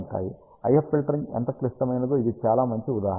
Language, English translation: Telugu, This is a very good example how critical IF filtering is